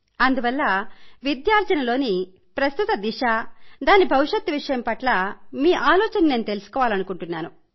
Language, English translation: Telugu, So I would like to know your views concerning the current direction of education and its future course